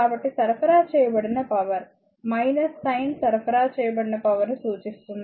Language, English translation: Telugu, So, power supplied is minus sign indicates power supplied